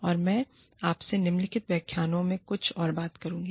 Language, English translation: Hindi, And, i will talk to you, some more, in the following lecture